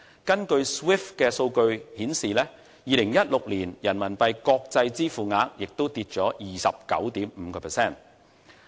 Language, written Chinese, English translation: Cantonese, 根據 SWIFT 數據顯示 ，2016 年人民幣國際支付額下跌了 29.5%。, According to the data of the Society for Worldwide Interbank Financial Telecommunication SWIFT the value of international RMB payments in 2016 fell by 29.5 % when compared with 2015